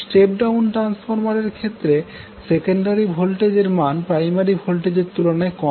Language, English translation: Bengali, Step down transformer is the one whose secondary voltages is less than the primary voltage